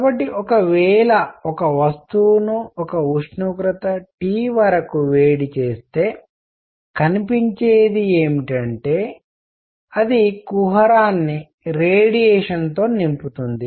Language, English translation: Telugu, So, what is seen is that if the body is heated to a temperature T, it fills the cavity with radiation